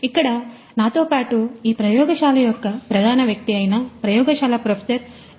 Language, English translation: Telugu, So, I have with me over here the lead of this particular lab Professor S